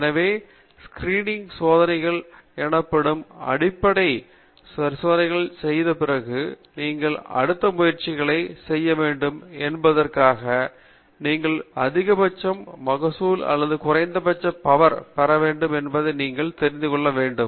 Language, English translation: Tamil, So once you have done a basic set of experiments called as Screening Experiments, you want to know where exactly you should do the next set of experiments so that you get the maximum yield or minimum power